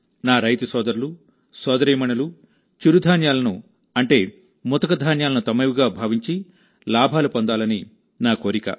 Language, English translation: Telugu, It is my request to my farmer brothers and sisters to adopt Millets, that is, coarse grains, more and more and benefit from it